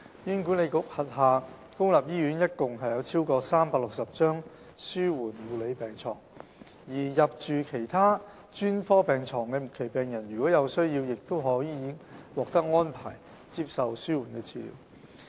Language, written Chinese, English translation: Cantonese, 醫管局轄下公立醫院共有超過360張紓緩護理病床，而入住其他專科病床的末期病人，如有需要亦可獲安排接受紓緩治療。, Public hospitals of HA offer a total of over 360 palliative care beds . Terminally ill patients admitted to other specialties and in need of palliative care services can also receive palliative treatment